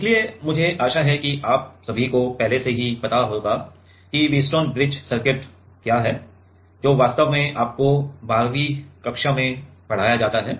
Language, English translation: Hindi, So, I hope that all of you have already know what is a Wheatstone bridge circuit which is actually taught you in 12th standard